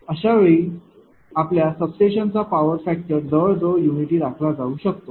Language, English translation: Marathi, In that case power factor at the your substation can nearly be maintain unity right